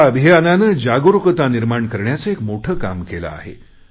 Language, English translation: Marathi, This campaign has worked in a major way to generate awareness